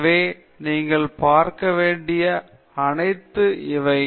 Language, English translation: Tamil, So, all of these things that you have to look at